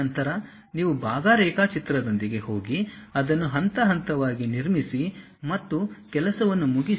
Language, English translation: Kannada, Then, you go with part drawing construct it step by step and finish the thing